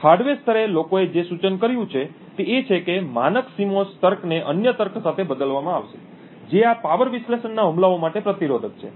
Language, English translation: Gujarati, At the hardware level what people have suggested is that the standard CMOS logic be replaced with other logic which are resistant to these power analysis attacks